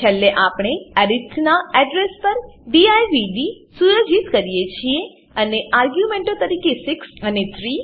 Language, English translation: Gujarati, Atlast we set divd to the address of arith And we pass 6 and 3 as arguments